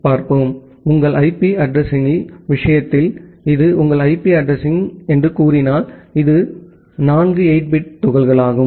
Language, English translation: Tamil, So, in case of your IP address say these are this is your IP address, in this four 8 bit chunks